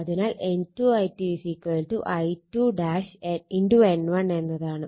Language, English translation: Malayalam, So, this is I 2 and at this N 2